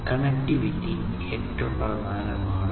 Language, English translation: Malayalam, So, connectivity is the bottom line